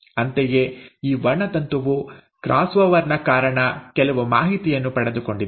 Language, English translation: Kannada, Similarly, this chromosome has received some information due to the cross over